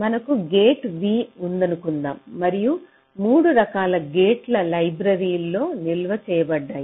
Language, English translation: Telugu, suppose we have a gate v and there are three versions of the gates which are stored in the library